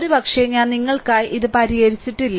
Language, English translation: Malayalam, Probably, I have not solve it for you